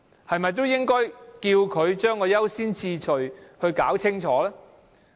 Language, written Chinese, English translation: Cantonese, 是否應該要求政府把優先次序弄清楚？, Should we ask the Government to clarify the priorities?